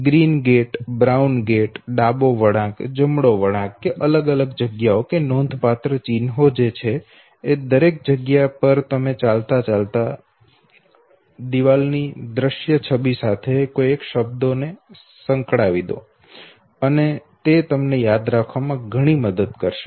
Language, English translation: Gujarati, Green Gate, brown gate the left turn, the right turn whatever significant land marks that you have know identified okay, all those significant land marks on the mental walk through is now associated with the visual image of the wall, and that would help you a lot